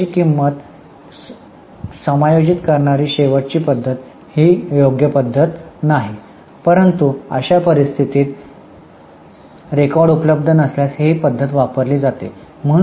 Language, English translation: Marathi, Now the last method that is adjusted selling price is not very suitable method but if the records are not available in such cases this method is used